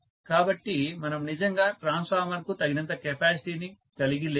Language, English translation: Telugu, So, we are really not having sufficient capacity for the transformer